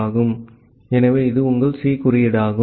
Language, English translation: Tamil, So, this is your C code well